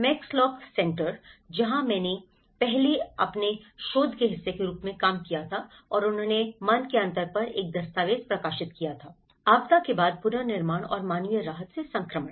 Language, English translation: Hindi, Max lock centre, where I worked earlier as part of my research and they have published a document on mind gap; post disaster reconstruction and the transition from humanitarian relief